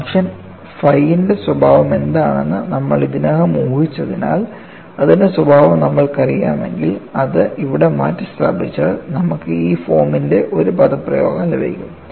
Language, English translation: Malayalam, Because, we have already assumed what is the nature of the function phi; once you know that nature and substitute it here, you get an expression of this form